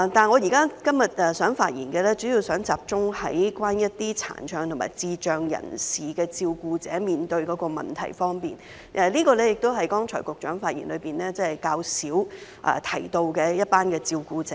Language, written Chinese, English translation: Cantonese, 我今天發言主要想集中談一些殘障和智障人士的照顧者所面對的問題，這是剛才局長發言較少提到的一群照顧者。, My speech today will mainly focus on the problems faced by the carers of persons with physical and intellectual disabilities which is the group of carers whom the Secretary made little mention in his earlier speech